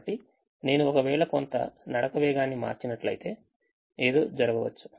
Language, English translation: Telugu, so if i simply change some of the walking speeds, something can also happen